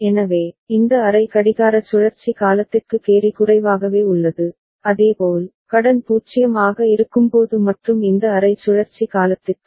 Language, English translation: Tamil, So, the carry is remaining low for this half clock cycle duration and similarly, borrow is for when it is 0 and for this half cycle duration